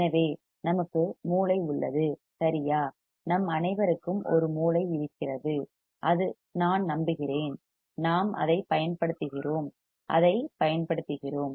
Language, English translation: Tamil, So, we have a brain right [Laughter]; all of us have a brain, I hope [Laughter]; and we use it, we use it